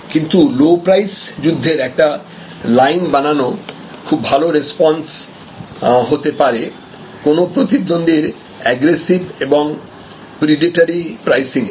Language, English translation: Bengali, But, this launching a low price fighter line is often a good strategy in response to an aggressive predatory pricing from a challenger